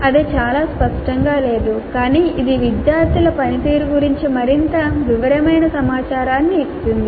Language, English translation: Telugu, That is not very clear but it does give more detailed information about the performance of the students